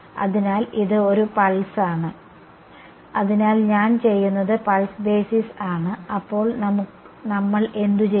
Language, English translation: Malayalam, So, this is a pulse right, so, what I am doing I am doing pulse basis right and then what do we do